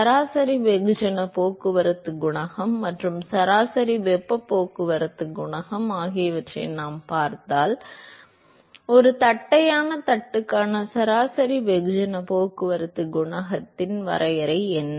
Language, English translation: Tamil, Not just that supposing if I look at the average mass transport coefficient and average heat transport coefficient, what is a definition of average mass transport coefficient for a flat plate